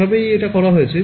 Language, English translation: Bengali, So, that is how they do